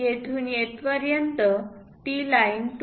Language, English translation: Marathi, From here to here that line is 2